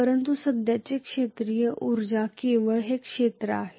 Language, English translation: Marathi, But the final field energy present is only this area